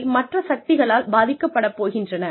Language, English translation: Tamil, They are going to be influenced by external forces